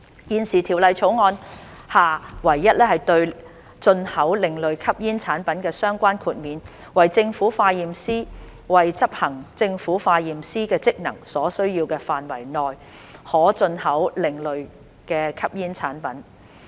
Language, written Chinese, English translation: Cantonese, 現時《條例草案》下唯一對進口另類吸煙產品的相關豁免為政府化驗師為執行政府化驗師的職能所需要的範圍內，可進口另類吸煙產品。, At present the only exemption for the import of ASPs as provided for under the Bill is that a Government Chemist may import an alternative smoking product so far as it is necessary for the performance of the Government Chemists functions